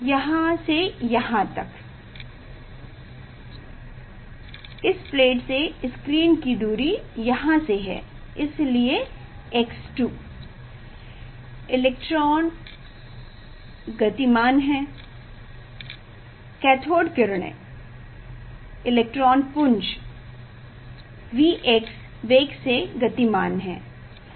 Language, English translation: Hindi, from here to here, this is the distance of the screen from this plate from here, so x 2, electrons are moving, cathode ray are moving it is a made of electrons with velocity V x